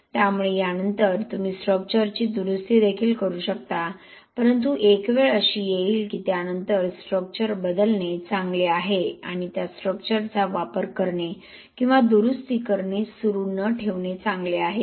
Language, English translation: Marathi, So after that you may also repair the structure here but there will be a time when there is…it is better to replace the structure and not to continue to use that structure or repair